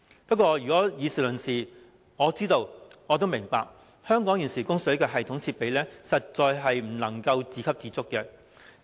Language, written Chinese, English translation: Cantonese, 不過，如果以事論事，我知道並明白，香港現時的供水系統設備實在不能夠自給自足。, Fairly speaking I know and understand that the current water supply systems of Hong Kong do not allow us to attain self - reliance